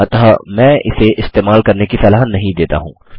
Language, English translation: Hindi, So I dont recommend using this